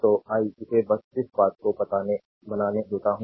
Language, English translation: Hindi, So, let me make it just ah this thing